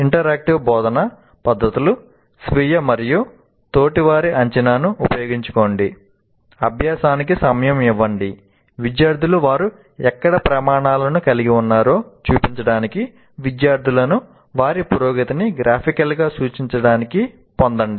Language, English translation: Telugu, Use interactive teaching methods, self and peer assessment, give time for practice, get students to show where they have met the criteria, get students to represent their progress graphically